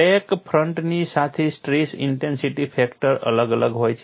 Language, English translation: Gujarati, Along the crack front, the stress intensity factor varies